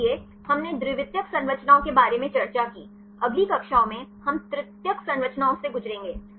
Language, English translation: Hindi, So, we discussed about the secondary structures; in the next classes, we will go through the tertiary structures